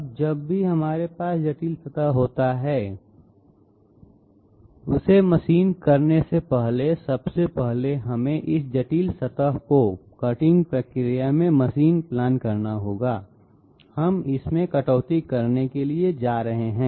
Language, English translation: Hindi, Now whenever we are having a complex surface, before starting to machine it we have to 1st get this complex surface machining planned in our you know cutting procedure, how are we going to cut it